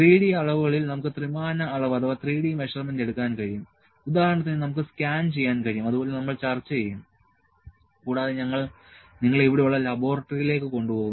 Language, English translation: Malayalam, 3D measurement in 3D measurements, we can do the measurement for the three dimensions, like we can scan and we will discuss, also we will take you to the laboratory here